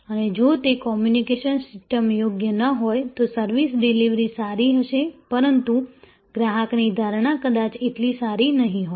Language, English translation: Gujarati, And if that communication system is not proper, then the service delivery will be good, but the customer perception maybe not that good